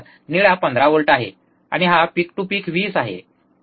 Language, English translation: Marathi, The blue one is 15 and this one so, peak to peak is 20, alright